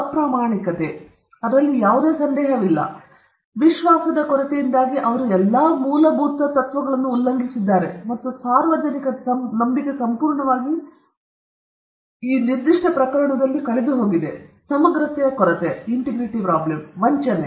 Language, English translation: Kannada, Dishonesty, no doubt in that; lack of trust because he has violated all basic principles of trust, and the public trust is completely lost in this particular case; a lack of integrity; cheating